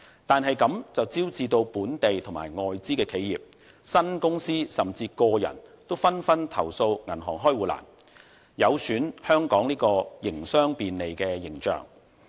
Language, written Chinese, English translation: Cantonese, 但是，這樣便招致本地及外資企業、新公司，甚至個人都紛紛投訴銀行開戶難，有損香港的營商便利形象。, As a result local and foreign enterprises new companies and even individuals have been complaining about the difficulty in opening a bank account . This has undermined Hong Kongs reputation of facilitating business operation